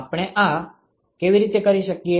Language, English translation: Gujarati, How do we do this